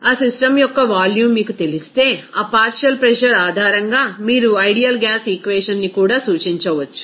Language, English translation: Telugu, If you know the volume of that system, then you can also represent that ideal gas equation based on that partial pressure